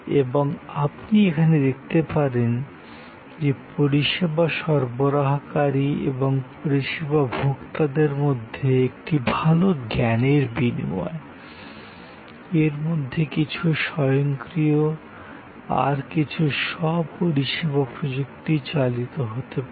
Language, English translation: Bengali, And as you can see here therefore, a good knowledge exchange between the service provider and the service consumer, some of that can be automated, some of them can be self service technology driven can create ultimately a better outcome